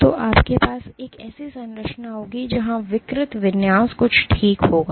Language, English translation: Hindi, So, what you will have is a structure where the deformed configuration will look something like ok